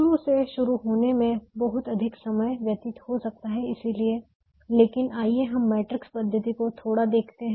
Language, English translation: Hindi, one can spend a lot more time starting from the beginning, but let's just see a little bit of the matrix method now